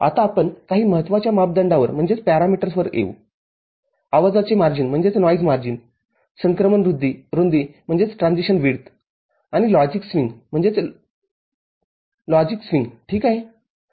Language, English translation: Marathi, Now, we come to some important parameters noise margin, transition width and logic swing ok